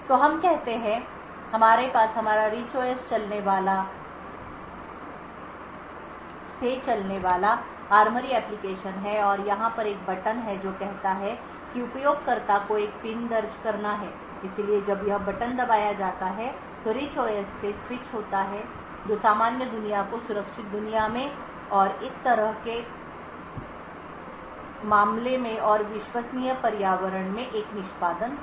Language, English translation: Hindi, So let us say we have this ARMORY application running from our Rich OS and there is one button over here which says that the user has to enter a PIN so when this button is pressed there is a switch from the Rich OS that is in the normal world to the secure world and in such a case and there would be an execution in the Trusted Environment